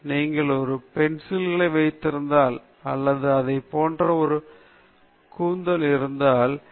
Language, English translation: Tamil, You should not, just because you keep four pencils or you have a haircut like this, you are different